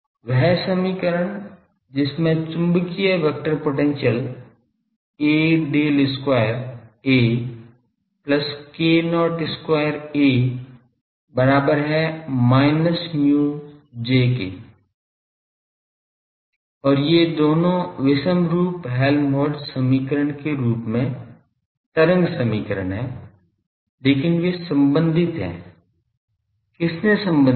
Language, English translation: Hindi, The equation that involved magnetic vector potential A del square A plus k not square A is equal to minus mu J and these both are wave equations in the form of inhomogeneous Helmholtz equation, but they are related who related them